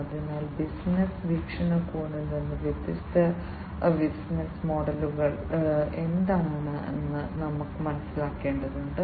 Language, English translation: Malayalam, So, from the business perspective, we need to understand what are the different business models